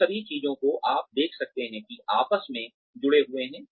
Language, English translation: Hindi, All of these things as you can see are interrelated